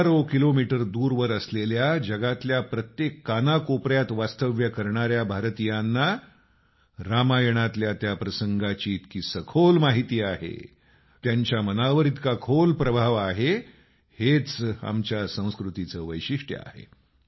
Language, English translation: Marathi, People residing thousands of kilometers away in remote corners of the world are deeply aware of that context in Ramayan; they are intensely influenced by it